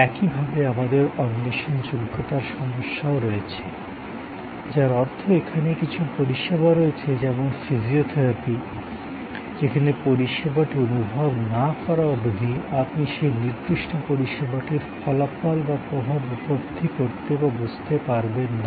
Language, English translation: Bengali, Similarly, we have the problem of non searchability, which means that there are some services say like physiotherapy, where till you experience the service, you really cannot comprehend or cannot fully realize the impact of that particular service or the result, the outcome of that service and so on